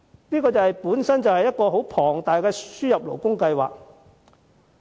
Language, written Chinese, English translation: Cantonese, 這計劃本身可說是一個龐大的輸入勞工計劃。, This is a sort of huge labour importation scheme in disguise